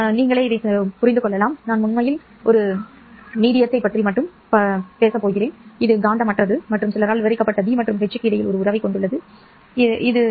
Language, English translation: Tamil, But for the right hand side, I realize that I am actually working with a medium which is simple in the sense that it is non magnetic and having a relationship between B and H described by some mu